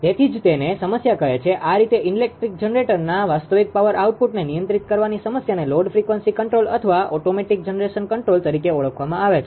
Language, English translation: Gujarati, So, that the problem of called therefore, the problem of controlling the real power output of electric generators in this way is termed as load frequency control or automatic generation control, right